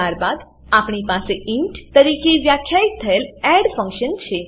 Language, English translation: Gujarati, Then we have add function defined as int